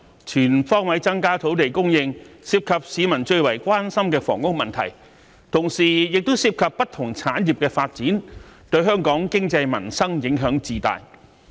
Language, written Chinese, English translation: Cantonese, 全方位增加土地供應，涉及市民最為關心的房屋問題，同時亦涉及不同產業的發展，對香港經濟民生影響至大。, Increasing land supply on all fronts involves not only the housing issue which is of great concern to the public but also the development of various industries which has a great impact on Hong Kongs economy and peoples livelihood